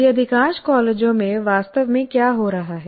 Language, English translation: Hindi, Now, what exactly is happening now as of now in majority of the colleges